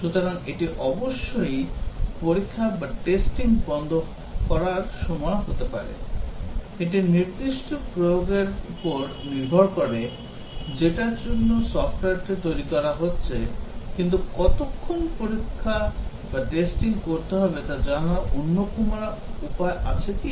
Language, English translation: Bengali, So, may be it is the time to stop testing of course, depends on the specific application for which the software is being developed; but are there other ways of knowing how long to test